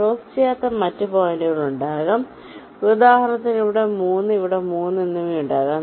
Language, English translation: Malayalam, also there can be other points which do not cross, like, for example, there can be a three here and a three here